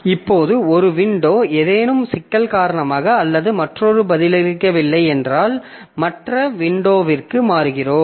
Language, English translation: Tamil, Now, if one window due to some problem or the other becomes unresponsive, so we switch over to other window and possibly that window continues